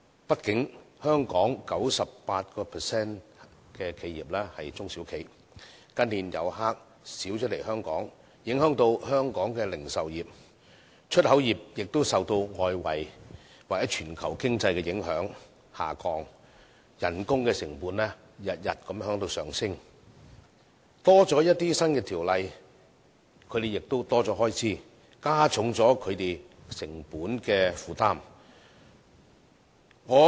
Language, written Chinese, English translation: Cantonese, 畢竟，香港 98% 的企業是中小企，近年來港遊客減少，影響香港的零售業，出口業亦受外圍或全球經濟的影響而下降，工資成本每天也在上升；條例增加，它們的開支亦會增加，加重它們的成本負擔。, In recent years the drop of inbound visitors has affected the retail industries of Hong Kong . The export trade is also adversely affected by the external environment or global economy and is facing ever - increasing manpower cost . The increase in regulatory legislation has also raised their expenditure and added to their cost burden